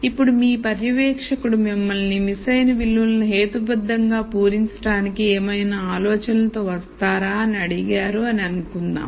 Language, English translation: Telugu, Now let us assume your supervisor has asked you if you can come up with any ideas that can be employed to rationally fill the missing values